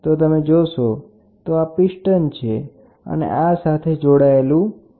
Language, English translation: Gujarati, So, if you look at it, this is the piston and the weight